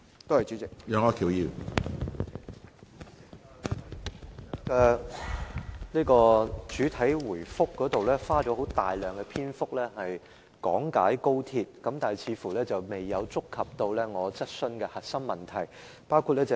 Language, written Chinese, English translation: Cantonese, 局長在作出主體答覆時，花了很多時間講解高鐵，但卻未有觸及我的主體質詢的核心問題。, When giving the main reply the Secretary spent much time on explaining XRL but missed the core of my main question